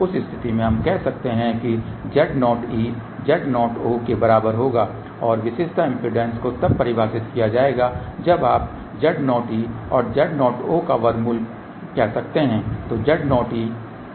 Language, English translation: Hindi, In that case we can say Z o e will be equal to Z o o and the characteristic impedance then is defined as a you can say square root of Z o e and Z o o